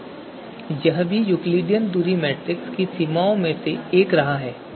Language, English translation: Hindi, So this is this has been one limitation of Euclidean distance metric